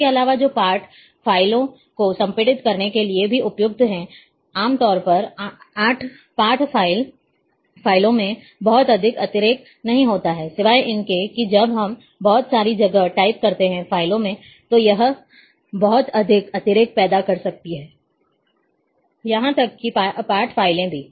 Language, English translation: Hindi, Further that led also suitable for compressing text files, generally text files do not have much redundancy, except when we type lot of space, in the files, that may create lot of redundancy, in even in text file